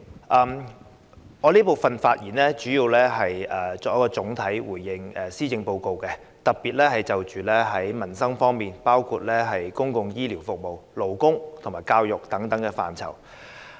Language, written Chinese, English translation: Cantonese, 代理主席，我在這辯論環節的發言主要想總體回應施政報告的內容，特別是民生方面的措施，包括公共醫療服務、勞工和教育等範疇。, Deputy President my speech in this debate session aims mainly at giving overall comments on the content of the Policy Address in particular the livelihood measures in such areas as public health care service labour and education